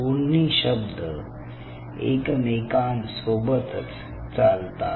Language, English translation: Marathi, these two words go hand in hand